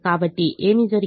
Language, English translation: Telugu, so what has happened